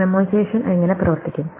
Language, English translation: Malayalam, So, how does memoization work